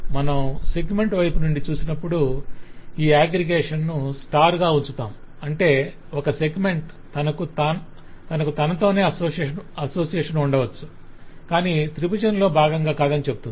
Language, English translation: Telugu, so when you look at from the segment side, you put this aggregation to be at star, which says that a segment could be by itself also not a part of the triangle